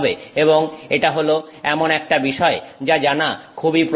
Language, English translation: Bengali, And this is something that is very useful to know